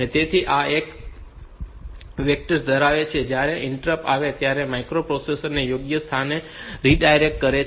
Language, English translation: Gujarati, So, this holds the vectors that redirect the microprocessor to the right place when the interrupt arrives